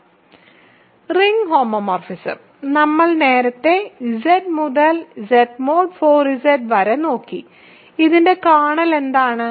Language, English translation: Malayalam, So, the ring homomorphism, that we looked at earlier Z to Z mod 4 Z, what is the kernel of this